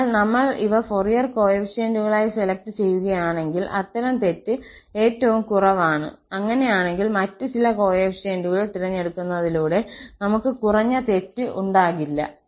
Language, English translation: Malayalam, So, if we choose these as Fourier coefficients, then such error is minimum, such error is minimum, in that case, we cannot have the less error than this one by choosing some other coefficients